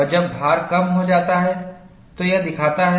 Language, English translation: Hindi, And when I reduce the load, what would happen